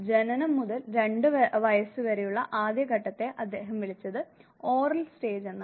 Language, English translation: Malayalam, First worth to 2 years of age, what he called has Oral stage